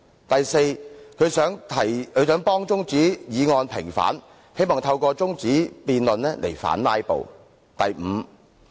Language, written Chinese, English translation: Cantonese, 第四，他想替中止待續議案平反，希望透過中止辯論來反"拉布"。, Fourth he wants to vindicate adjournment motions and hopes to counter filibustering by having the debate adjourned